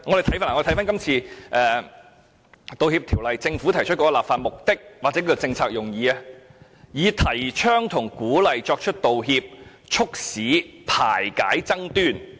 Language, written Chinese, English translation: Cantonese, 政府這次提出《條例草案》的立法目的或政策用意，是"提倡和鼓勵作出道歉，以促進和睦排解爭端"。, The legislative object or the policy intent of the Bill proposed by the Government this time is to promote and encourage the making of apologies in order to facilitate amicable settlement of disputes